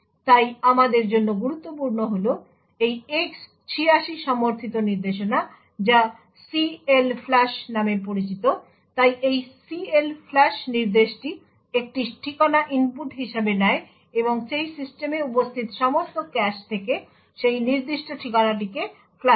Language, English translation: Bengali, So what is important for us is this X 86 supported instruction known as CLFLUSH, so this CLFLUSH instruction takes an address as input and flushes that particular address from all the caches present in that system